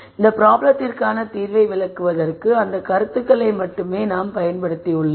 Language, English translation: Tamil, We have used only those concepts to illustrate solution to this problem